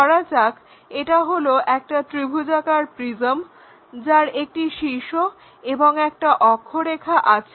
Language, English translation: Bengali, For example, this is the triangular prism having apex and axis